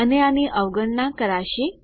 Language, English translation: Gujarati, And this one will be ignored